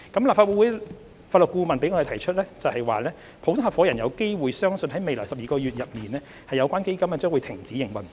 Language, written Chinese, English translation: Cantonese, 立法會法律顧問向我們提出普通合夥人有機會相信在未來12個月內，有關基金將停止營運。, The Legal Advisor to the Legislative Council has advised us of the possibility that general partners believe that their funds will cease operation within the next 12 months